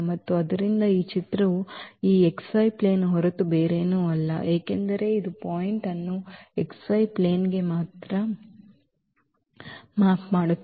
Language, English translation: Kannada, And therefore, this image is nothing but this x y plane because this maps the point to the x y plane only